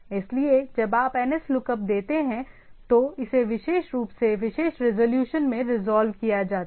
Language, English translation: Hindi, So, when you give nslookup, then it is resolved into the particular particular resolution